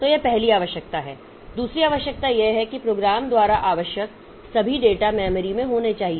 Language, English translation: Hindi, Second requirement is the all of the data that is needed by the program must be in memory